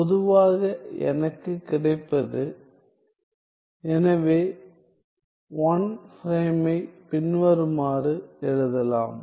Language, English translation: Tamil, So, in general; so what I get is; so, 1 prime can be written as follows